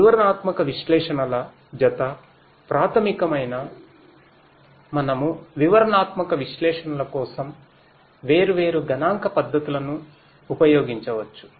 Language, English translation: Telugu, Descriptive analytics you know pair basic we could use different statistical methods for the descriptive analytics